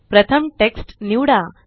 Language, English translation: Marathi, First select the text